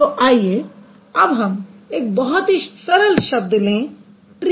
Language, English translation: Hindi, So, now let's take a very simple example tree